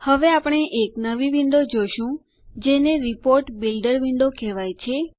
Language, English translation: Gujarati, We now see a new window which is called the Report Builder window